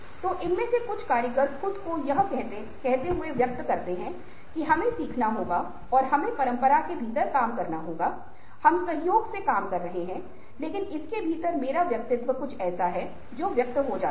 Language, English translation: Hindi, so some of these artisans express themselves as saying that, well, we have to learn and we have to work within the tradition we are doing collaboratively, but within that, my individualisation is something which gets expressed